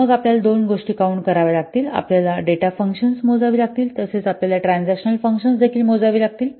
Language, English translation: Marathi, The you have to count the data functions as well as you have to count the transaction functions